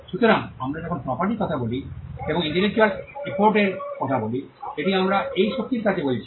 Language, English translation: Bengali, So, whenever we talk about the property that comes out and intellectual effort, it is this strength that we are talking about